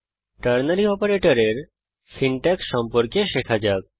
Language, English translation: Bengali, Let us learn about the syntax of Ternary Operator